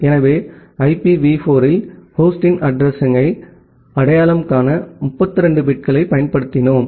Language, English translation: Tamil, So, in IPv4, we used 32 bits for identifying a address of a host